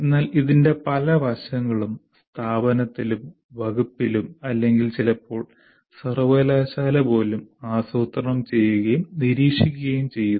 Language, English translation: Malayalam, But many aspects of this are planned and monitored at the institution and department level, or sometimes even the university